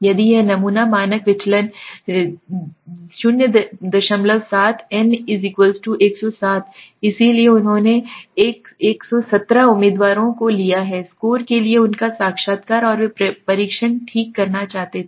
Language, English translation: Hindi, 7 n = 107 so they have taken 117 candidates to took their interview to the score and they wanted to do the test okay